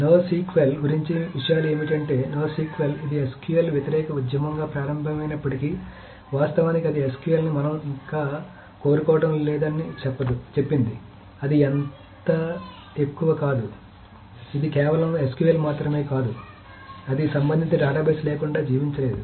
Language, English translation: Telugu, So what are the things about no SQL is that, so no SQL, although it started as an anti SQL movement, actually it said that we don't want SQL any further, it is not so more, it is just not only SQL, it cannot leave without the relational database